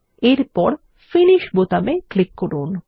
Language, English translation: Bengali, Next click on the Finish button